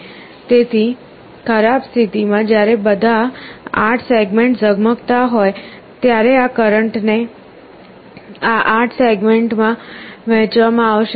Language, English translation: Gujarati, In the worst case, when all the 8 segments are glowing this current will be divided among these 8 segments